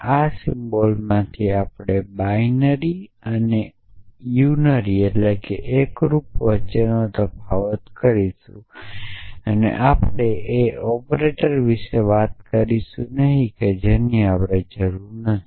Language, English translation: Gujarati, So, of these symbols we will distinguish between binary and unary and we will not talk about higher or operators and we do not need to a